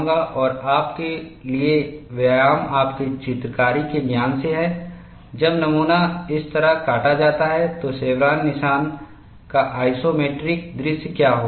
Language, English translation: Hindi, But I will put a plane over it, and the exercise for you is, from the knowledge of your drawing, when the specimen is cut like this, what would be the isometric view of the chevron notch